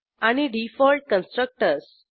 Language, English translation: Marathi, And Default Constructors